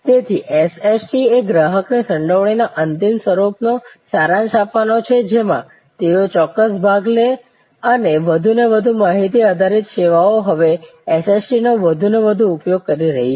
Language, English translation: Gujarati, So, SST's are to summarize ultimate form of customer involvement they take specific part and more and more information based services are now using more and more of SST